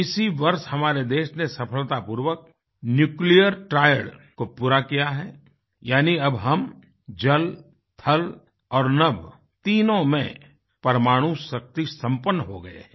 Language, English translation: Hindi, It was during this very year that our country has successfully accomplished the Nuclear Triad, which means we are now armed with nuclear capabilitiesin water, on land and in the sky as well